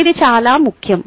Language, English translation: Telugu, ok, this is very important